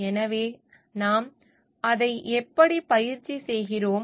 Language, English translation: Tamil, So, that is how we practice it